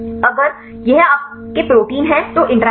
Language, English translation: Hindi, The interactions if this is your protein right